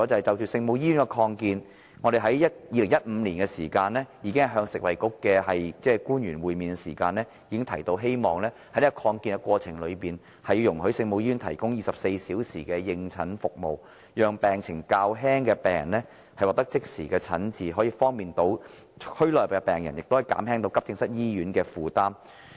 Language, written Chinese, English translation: Cantonese, 就聖母醫院的擴建，我們在2015年與食物及衞生局的官員會面時已提出，希望在擴建過程中使聖母醫院能夠提供24小時的應診服務，讓病情較輕的病人獲得即時診治，以方便區內病人，同時也減輕醫院急症室的負擔。, As regards the expansion project of the Our Lady of Maryknoll Hospital OLMH during a meeting with officials from the Food and Health Bureau in 2015 we already expressed our hope that when the expansion project was being undertaken 24 - hour consultation services could be provided to enable patients suffering from minor diseases to receive immediate treatment with a view to facilitating patients in the districts while reducing the burden on the accident and emergency AE departments of hospitals